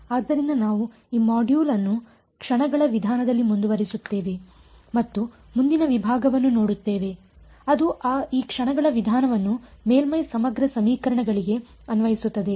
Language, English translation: Kannada, So, we will continue with this module on the method of moments and look at the next section which is applying this method of moments to Surface Integral Equations ok